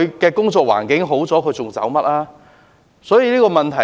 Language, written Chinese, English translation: Cantonese, 當工作環境好轉，他們還會離開嗎？, Will they still insist on leaving when their working condition is improved?